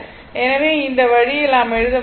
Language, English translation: Tamil, So, this way you can write